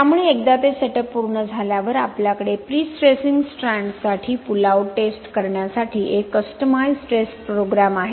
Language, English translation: Marathi, So once those setups are done, we have a customised test program for running the pull out test for prestressing strands